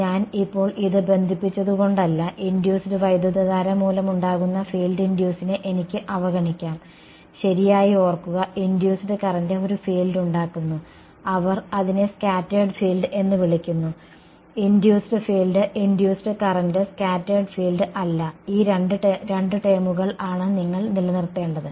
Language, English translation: Malayalam, It is not that because I connected this now I can ignore these the induce the field produced due to induced current; remember right, induced current produces a field and they call it as scattered field, not induced field induced current scattered field these are the two terms you should keep ok